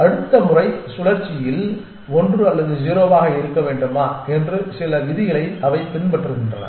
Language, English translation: Tamil, And they follow certain rules whether to remain 1 or 0 in the next time cycle